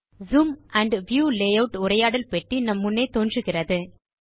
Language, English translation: Tamil, You see that a Zoom and View Layout dialog box appears in front of us